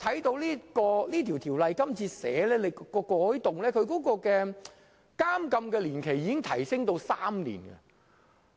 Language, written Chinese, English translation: Cantonese, 根據《條例草案》今次提出的改動，監禁年期已提高至3年。, According to the changes proposed by the Bill this time around the term of imprisonment has been raised to three years